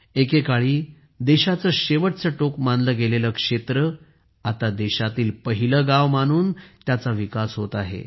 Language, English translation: Marathi, The areas which were once considered as the last point of the land are now being developed considering them as the first villages of the country